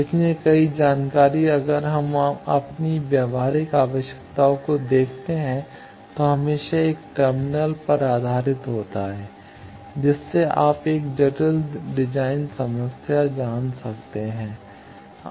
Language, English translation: Hindi, So, many information if we look at our practical need is always terminal based you know a complex design problem